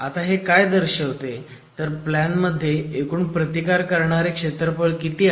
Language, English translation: Marathi, Now what this represents is the percentage of resisting area available in a plan configuration